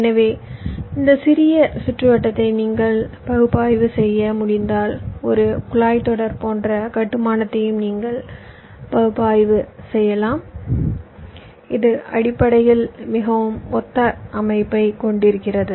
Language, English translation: Tamil, so if you can analyse that small circuit, you can also analyse, flip analyse a pipeline kind of architecture which basically has a very similar structure